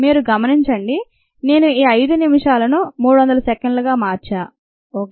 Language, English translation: Telugu, we see that i have converted this five minutes into three hundred seconds